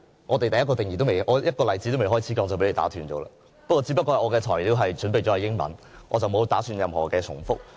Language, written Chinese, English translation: Cantonese, 我連一個例子也尚未開始說便被你打斷，只不過我準備了英文演辭，我並不打算重複。, I was interrupted by you before starting to cite just one example . It just happens that I prepared my speech in English; I do not intend to repeat myself